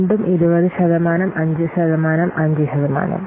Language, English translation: Malayalam, So, again, 20% 5% and 5%